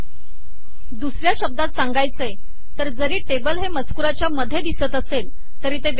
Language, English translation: Marathi, In other words, even though the table appear in between some text, it has been put separately